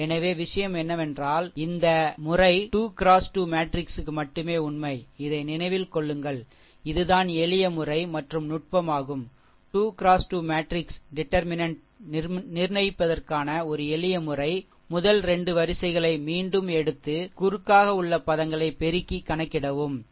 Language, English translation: Tamil, So, another thing is that this method just true for 3 into 3 matrix, remember this is this is what technique is there that is simple method, a simple method for obtaining the determinant of a 3 into 3 matrix is by repeating the first 2 rows and multiplying the terms diagonally as follows, right